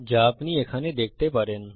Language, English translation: Bengali, As you can see here